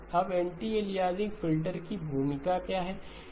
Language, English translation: Hindi, Now what is the role of the anti aliasing filter